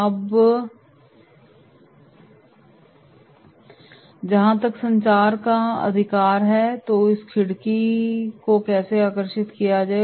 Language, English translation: Hindi, Now, as far as communication is concerned right, so how to draw this window